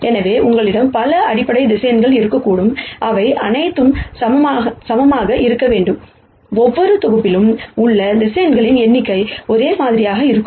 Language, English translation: Tamil, So, while you could have many sets of basis vectors, all of them being equivalent, the number of vectors in each set will be the same